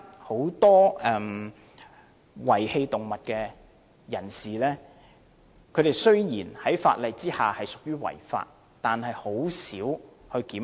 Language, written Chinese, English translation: Cantonese, 此外，現時有很多遺棄動物的人士，雖然他們在法例之下屬於違法，但很少被檢控。, Separately although many people who abandoned their animals have committed an offence under the law they are rarely prosecuted